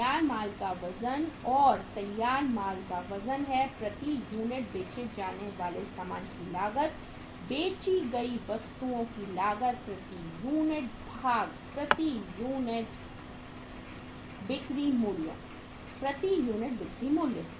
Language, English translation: Hindi, Weight of finished goods, and the weight of finished goods is cost of goods sold per unit, cost of goods sold per unit divided by selling price per unit, selling price per unit